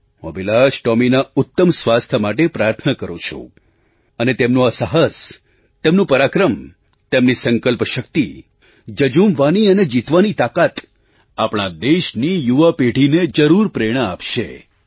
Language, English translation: Gujarati, I pray for Tomy's sound health and I am sure that his courage, bravery and resolve to fight and emerge a winner will inspire our younger generation